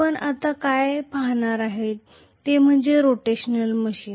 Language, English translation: Marathi, So what we are going to look at now from now on is rotational machines, right